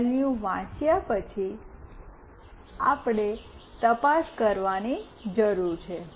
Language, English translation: Gujarati, After reading the values, we need to check